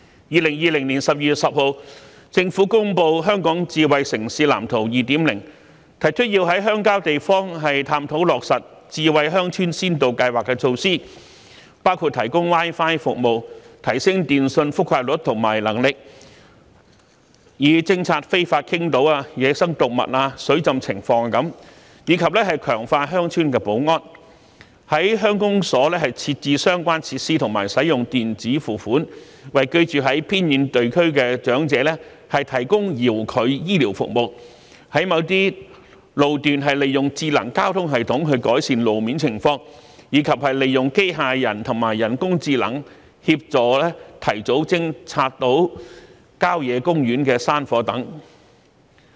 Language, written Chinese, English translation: Cantonese, 2020年12月10日政府公布《香港智慧城市藍圖 2.0》，提出要在鄉郊地方探討落實智慧鄉村先導計劃措施，包括提供 Wi-Fi 服務，提升電訊覆蓋率及能力，以偵察非法傾倒、野生動物及水浸情況，以及強化鄉村保安；在鄉公所設置相關設施及使用電子付款，為居住在偏遠地區的長者提供遙距醫療服務；在某些路段利用智能交通系統改善路面情況；及利用機械人及人工智能協助提早偵察郊野公園山火等。, The Government released the Smart City Blueprint for Hong Kong 2.0 on 10 December 2020 . It stresses the need to explore the implementation of smart village pilot initiatives in rural areas . These initiatives include providing Wi - Fi services and enhancing telecommunication coverage and capacities to detect illegal dumping wild animals and flooding and strengthen security in rural villages; installing relevant facilities at village offices and using e - payment for the provision of telehealth services for the elderly living in remote areas; using smart traffic system for certain roads to improve road situation; and using robotics and artificial intelligence to help early detection of hill fire in country parks